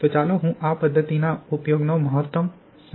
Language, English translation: Gujarati, So let me explain the significance in use of this method